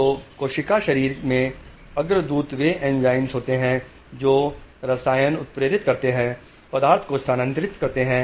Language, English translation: Hindi, So precursor in the cell body, they are enzymes, they are chemicals which catalyze, they transmit substance